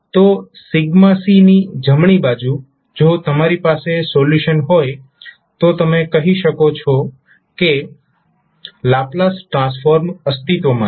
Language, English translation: Gujarati, So, right side of sigma c if you have the solution then you will say that your Laplace transform will exist